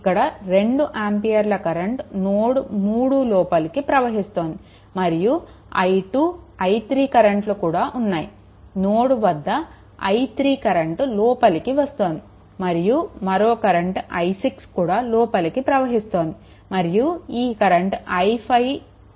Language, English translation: Telugu, This is this 2 ampere current is entering into the node, and this this one also that is your i 2 i 3 this i 3 is entering here right and another thing is this current i 6 also entering here and this current i 5 it is leaving this terminal